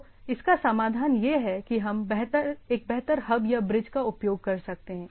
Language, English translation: Hindi, So, the solution is whether we can have a smarter hub or bridge